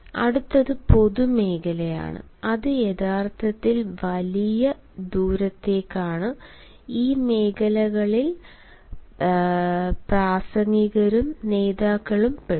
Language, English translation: Malayalam, next is the public zone, which actually is for large distance and in this zone, public speakers and leaders you will often find